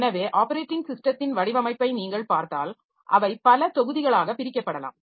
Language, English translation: Tamil, So, operating system design if you look into, so they can be divided, they can be divided into a number of modules